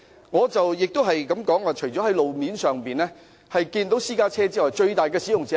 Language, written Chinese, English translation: Cantonese, 我亦提出，路面上除了私家車之外，最大的使用者是甚麼？, As I also mention on the roads apart from private cars what are the frequent users?